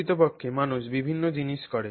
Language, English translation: Bengali, So, therefore in fact people do various things